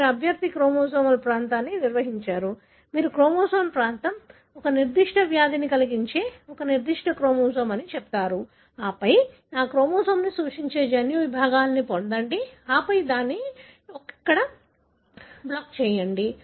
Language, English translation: Telugu, You define the candidate chromosomal region, you sort of say that is the region of the chromosome, a particular chromosome that is causing a particular disease likely and then up time get the genomic segments representing that chromosome and then look into just just block it here